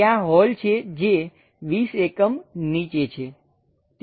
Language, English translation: Gujarati, There is a hole which is at 20 units down